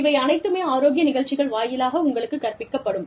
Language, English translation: Tamil, All of this, could be taught to you, through the wellness programs